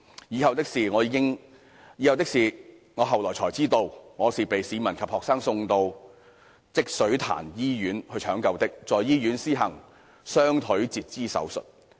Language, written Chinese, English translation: Cantonese, 以後的事我後來才知道，我是被市民及學生送到積水潭醫院搶救的，在醫院施行雙腿截肢手術。, I found out only afterwards what happened next . I was sent by citizens and students for emergency treatment at Jishuitan Hospital where I received an amputation surgery of my legs